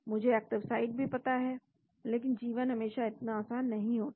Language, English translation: Hindi, I know the active site also But life is not always so simple